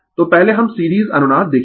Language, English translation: Hindi, So, first we will see the series resonance